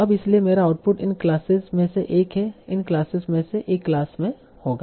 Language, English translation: Hindi, Now, so my output will be one of the class is one of the class from all this, from this set of classes